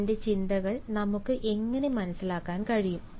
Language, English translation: Malayalam, and how can we understand his thoughts